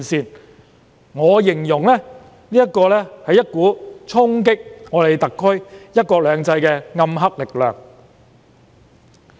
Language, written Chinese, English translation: Cantonese, 凡此種種，我會形容是一股衝擊特區"一國兩制"的暗黑力量。, I will describe all this as a dark force that seeks to challenge one country two systems of HKSAR